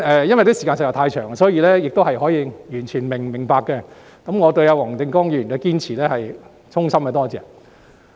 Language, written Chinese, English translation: Cantonese, 由於時間實在太長，這是完全可以明白的，但我對黃定光議員的堅持實在是衷心感謝。, Given that the meeting time was indeed too lengthy Members absence then was absolutely understandable but the perseverance of Mr WONG Ting - kwong is sincerely appreciated